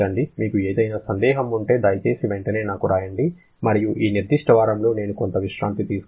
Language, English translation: Telugu, If you have any doubt, please write to me immediately and so I can take some rest for this particular week